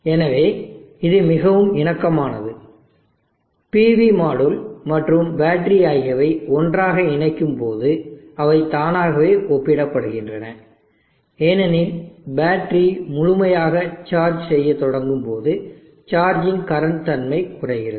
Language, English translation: Tamil, So this is very comparable the pv module and battery when they connect together they are automatically comparable because of the nature of charging current decreasing as the battery starts getting fully charged because when it reaches full charge the battery has to just need trickle charge